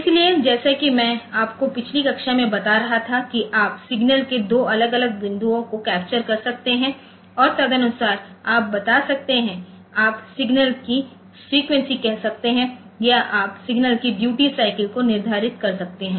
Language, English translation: Hindi, So, as I was telling you in the last class that you can we can capture 2 different points of signal and accordingly you can tell, you can determine say the frequency of the signal or you can determine the duty cycle of the signal